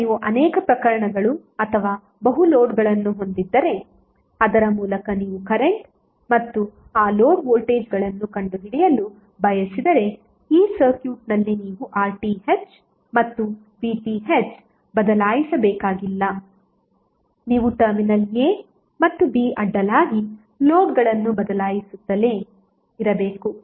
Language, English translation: Kannada, Now if you have multiple cases or multiple loads through which you want to find out the current and across those loads voltages, you need not to change anything in this circuit that is RTh and VTh you have to just keep on changing the loads across terminal a and b